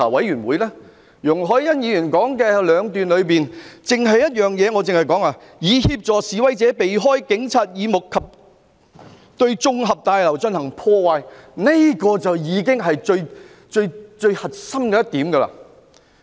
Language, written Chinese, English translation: Cantonese, 容海恩議員的議案中有兩段描述，其中第一段提到"以協助示威者避開警察耳目及對綜合大樓進行破壞"，這已是最核心的一點。, Ms YUNG Hoi - yans motion contains two paragraphs of description . One of them mentions thereby assisting the protesters to avoid Police detection and vandalize the LegCo Complex which is the core issue